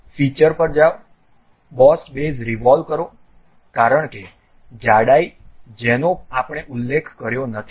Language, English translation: Gujarati, Go to features, revolve boss base because thickness we did not mention